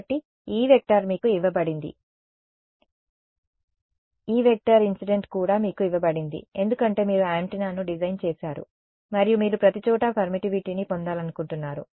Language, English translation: Telugu, So, E is given to you, E incident is also given to you because you have designed the transmitting antenna right and you want to obtain permittivity everywhere ok